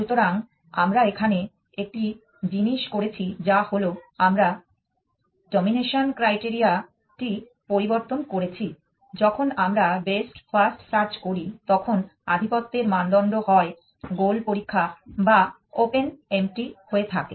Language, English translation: Bengali, So, one thing that we have done here is that we have changed the domination criteria when we are doing best first search the domination criteria was either goal test or open empty